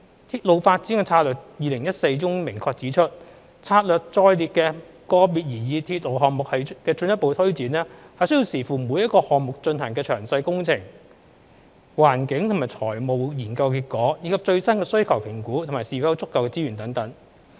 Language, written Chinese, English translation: Cantonese, 《鐵路發展策略2014》中明確指出，策略載列的個別擬議鐵路項目的進一步推展，須視乎每個項目進行的詳細工程、環境及財務研究的結果，以及最新的需求評估和是否有足夠的資源等。, As clearly stated in the Railway Development Strategy 2014 the taking forward of individual proposed railway projects set out in the Strategy will be subject to the outcome of detailed engineering environmental and financial studies relating to each project as well as updated demand assessment and availability of resources